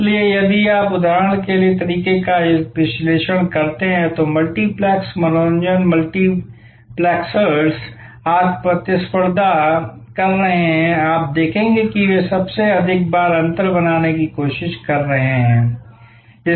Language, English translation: Hindi, So, if you analyze the way for example, the multiplexes the entertainment multiplexers are today competing you will see their most often trying to create differentials